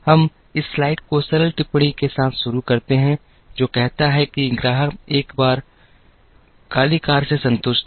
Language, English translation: Hindi, We begin this slide with the simple comment which says that, the customer was once satisfied with a black car